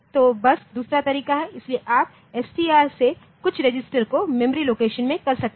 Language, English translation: Hindi, So, just the other way, SO you can say the STR some register to some memory location